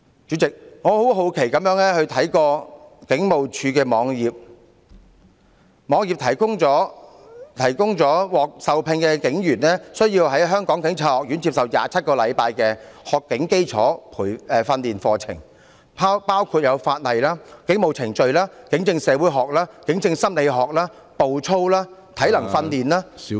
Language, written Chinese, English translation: Cantonese, 主席，我很好奇地看警務處的網頁，從中得知獲受聘的警員需要在香港警察學院接受27星期的學警基礎訓練課程，內容包括法例、警務程序、警政社會學、警政心理學、步操、體能訓練......, President out of my great curiosity I have surfed HKPFs web page and learnt that once appointed as a constable trainees will need to undergo in the Hong Kong Police College 27 weeks of foundation training which includes laws police procedures sociology in policing psychology in policing footdrill physical training